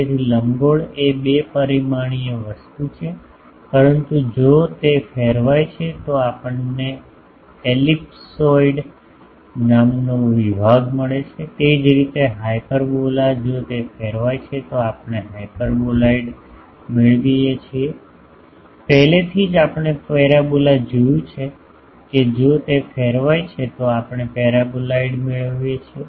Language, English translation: Gujarati, So, ellipse is a two dimensional thing, but if it is rotated we get a section called ellipsoid, similarly, hyperbola if it is rotated we get hyperboloid, already we have seen parabola if it is rotated we get paraboloid